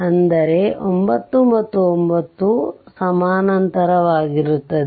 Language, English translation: Kannada, So, 9 and 9 they are in parallel